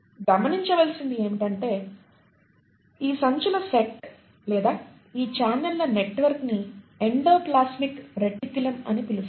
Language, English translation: Telugu, And what is observed, this set of bags or this set of network of channels is what you call as the endoplasmic reticulum